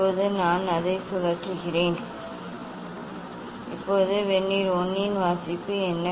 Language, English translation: Tamil, now I rotate it; now what is the reading of Vernier 1